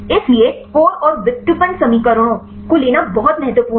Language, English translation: Hindi, So, it is very important to take the core and derive equations